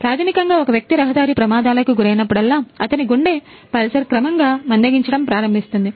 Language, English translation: Telugu, So, basically whenever a person go through a bad road accidents, then his heart pulse gradually start slowing down